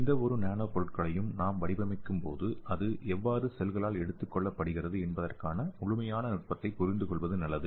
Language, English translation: Tamil, So here so when we designing any nanomaterials, its better to understand the complete mechanism how it is taken up the cells